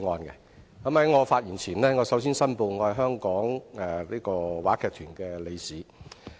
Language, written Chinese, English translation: Cantonese, 在我發言前，我首先申報我是香港話劇團理事。, Before I deliver my speech I have to declare that I am a Council Member of the Hong Kong Repertory Theatre